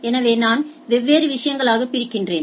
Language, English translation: Tamil, So, I divide into different stuff